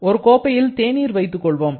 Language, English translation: Tamil, Let us take a cup of tea